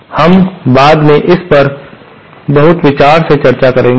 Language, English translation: Hindi, So, we will discuss this later on, all this in much detail